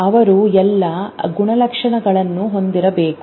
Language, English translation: Kannada, Then they should have all characteristics as the same